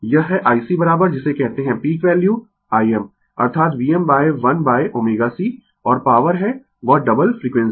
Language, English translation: Hindi, This is I C is equal to what you call peak value I m, that is V m upon 1 upon omega C and power is that double frequency